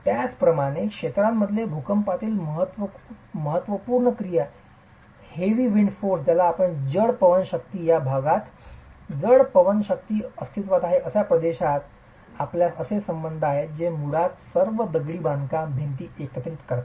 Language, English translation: Marathi, Similarly in regions of significant earthquake activity or heavy wind forces in regions or heavy wind forces are present you have ties that basically hold all the masonry walls together